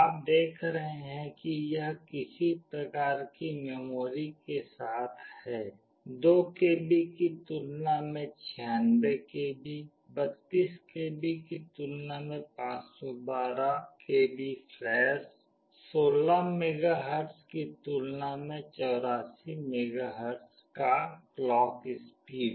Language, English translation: Hindi, You see the kind of memory it is having; 96 KB compared to 2 KB, 512 KB of flash compared to 32 KB of flash, clock speed of 84 megahertz compared to clock speed of 16 megahertz